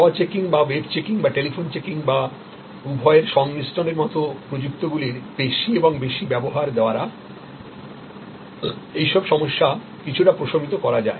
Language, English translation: Bengali, All that can be mitigated by more and more use of technologies like self checking or web checking or telephone checking or a combination of both